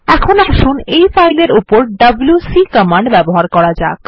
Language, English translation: Bengali, Now let us use the wc command on this file